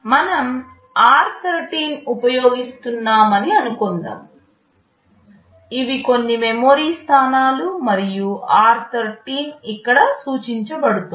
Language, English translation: Telugu, Let us say we are using r13, these are some memory locations and r13 is pointing here